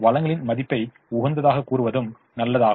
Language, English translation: Tamil, it's also good to say worth of the resources at the optimum